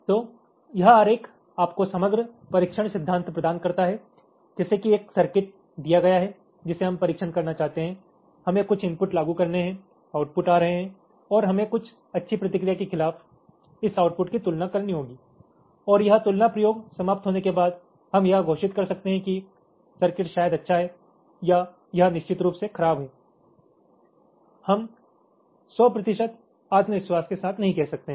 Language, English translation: Hindi, so this diagram gives you the overall testing principle, like, given a circuit which we want to test, we have to apply some inputs, the outputs are coming and we have to compare this outputs again, some golden response, and after this comparison experiment is over, we can declare that the weather is circuit is probably good or it is definitely bad